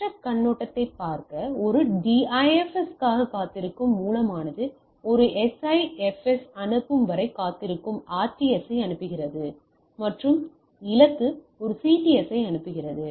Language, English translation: Tamil, So, just to look at in the other perspective so, the source waiting for a DIFS sends a RTS waiting for a SIFS sends a the destination sends a CTS